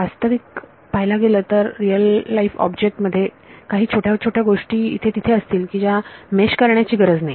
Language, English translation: Marathi, A real life object will have some very tiny tiny things here and there which need not be meshed